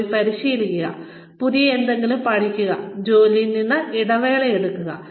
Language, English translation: Malayalam, And, go and train, learn something new, take a break from work